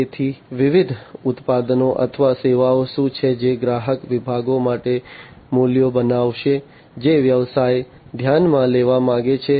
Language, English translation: Gujarati, So, what are the different products or the services that will create the values for the customer segments that the business wants to consider